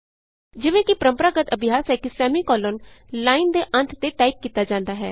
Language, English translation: Punjabi, As it is a conventional practice to type the semicolon at the end of the line